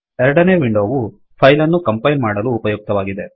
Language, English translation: Kannada, The second window is used to compile this file